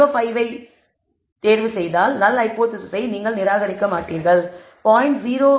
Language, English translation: Tamil, 05 you will not reject the null hypothesis, if you choose 0